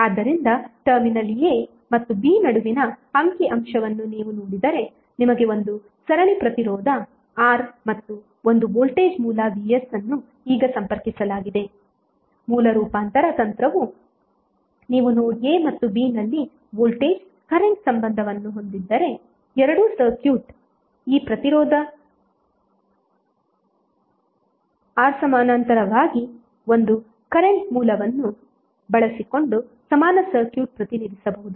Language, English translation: Kannada, So if you see the figure between terminal a and b you have one series resistance R and one voltage source Vs is connected now, the source transformation technique says that if you have voltage current relationship at node a and b same for both of the circuits it means that this can be represented as an equivalent circuit using one current source in parallel with resistance R